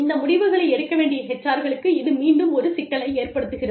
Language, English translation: Tamil, And again, this poses a problem, for the HR people, who have to take these decisions